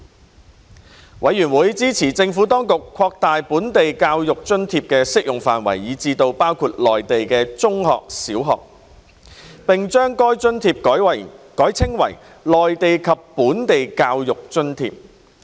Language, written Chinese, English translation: Cantonese, 事務委員會支持政府當局擴大本地教育津貼的適用範圍至包括內地中小學，並將該津貼改稱為內地及本地教育津貼。, The Panel supported the Administrations proposal to expand the scope of the Local Education Allowance LEA to cover primary and secondary education in the Mainland and rename LEA as Mainland and Local Education Allowance